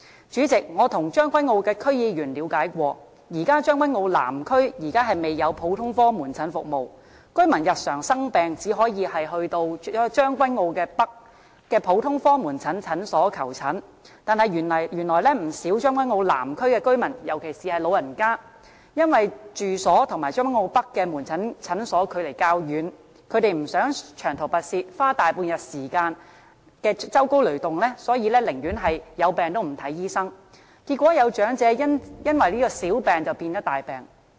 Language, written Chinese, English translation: Cantonese, 主席，我曾向將軍澳區議員了解過，現時將軍澳南區未有普通科門診服務，居民日常生病只能到將軍澳北的普通科門診診所求診，但原來不少將軍澳南區的居民，尤其是老人家，因為住所與將軍澳北的門診診所距離較遠，不想長途跋涉、花大半日時間舟車勞頓，所以寧願有病也不看醫生，結果有長者因此小病變大病。, President I have learnt from the Tseung Kwan O District Council members that general outpatient services are currently not available in Tseung Kwan O South . If the residents fall ill they can only go to the general outpatient clinic in Tseung Kwan O North to seek consultation . However it turns out that many residents in Tseung Kwan O South especially the elderly do not wish to make a long journey and spend nearly a whole day on transport since their homes are far away from the general outpatient clinic in Tseung Kwan O North